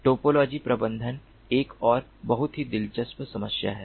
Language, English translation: Hindi, topology management is another very interesting ah problem